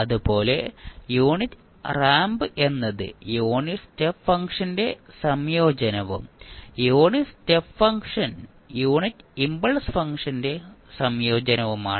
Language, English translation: Malayalam, Similarly, unit ramp is integration of unit step function and unit step function is integration of unit impulse function